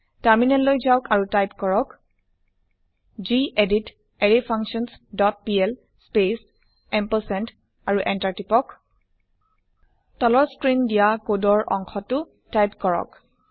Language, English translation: Assamese, Switch to terminal and type gedit arrayFunctions dot pl space ampersand and Press Enter Type the following piece of code as shown on screen